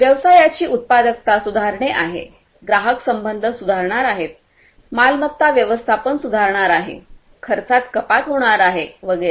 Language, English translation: Marathi, The productivity of the business is going to improve, the customer relationship is going to improve, the asset management is going to improve, the cost reduction is going to happen and so on